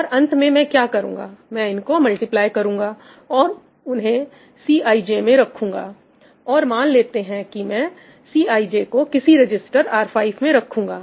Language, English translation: Hindi, I am going to multiply these and add them into cij, and let us say that I am maintaining cij in some register , in some register R5